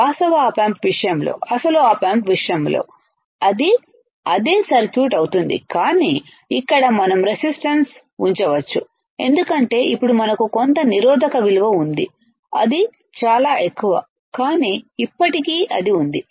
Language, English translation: Telugu, But in case of actual op amp, in case of actual op amp, what it will be same circuit, but here we can put a resistance because now we have some value of resistor it is very high, but still it is there